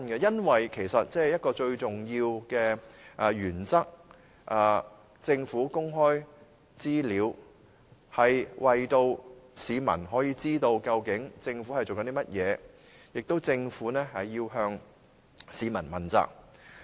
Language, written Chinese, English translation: Cantonese, 因為一個最重要的原則是，政府公開資料能讓市民知道政府究竟在做甚麼，同時政府亦要向市民問責。, This is because one of the most important principles is that the disclosure of information by the Government will enable the public to know what the Government is actually doing . At the same time the Government has to be accountable to the public